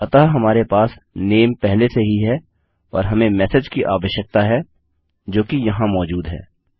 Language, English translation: Hindi, So we got the name already and all we really need is the message which again is here